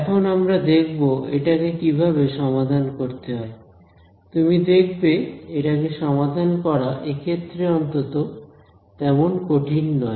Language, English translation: Bengali, So, now we will look at how to solve it you will see that solving this is actually not that difficult at least in this case